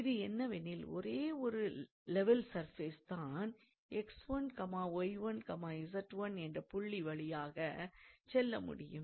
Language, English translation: Tamil, And this implies that hence only one level surface passes through the point x 1, y 1, z 1